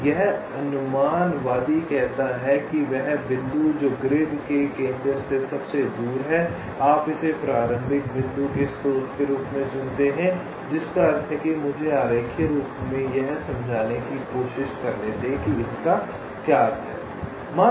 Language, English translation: Hindi, so this heuristic says that the point which is farthest from the center of the grid, you choose it as the source of the starting point, which means let me diagrammatically try to explain what does this mean